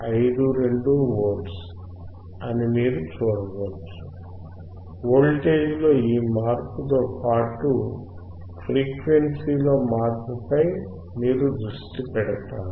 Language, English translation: Telugu, 52 volts, you keep focusing on this change in voltage and change in frequency